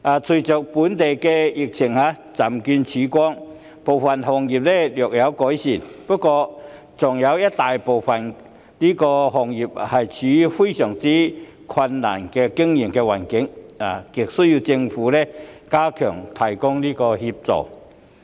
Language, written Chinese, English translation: Cantonese, 隨着本地疫情漸見曙光，部分行業的情況略有改善，但大部分行業的經營環境依然相當困難，亟需政府加強提供協助。, With the dawn of the local epidemic the situation of certain industries has improved slightly . Yet most trades and industries are still facing a very difficult business environment desperately in need of enhanced assistance from the Government